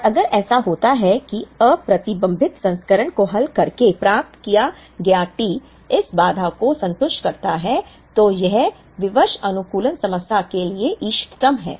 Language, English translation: Hindi, And if it, happens that the T that is obtained by solving the unconstrained version satisfies this constraint, then it is optimal to the constrained optimization problem